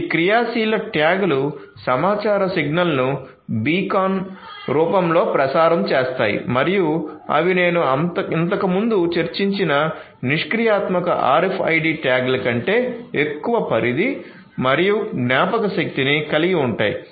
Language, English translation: Telugu, So, these tags our active tags would broadcast the information signal in the form of beacons and they have longer range and memory than the passive RFID tags that I discussed previously